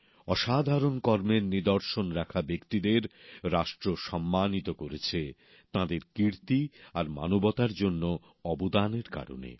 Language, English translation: Bengali, The nation honored people doing extraordinary work; for their achievements and contribution to humanity